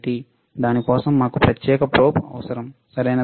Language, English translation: Telugu, For that we need a separate probe, all right